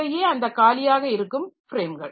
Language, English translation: Tamil, These are the free frames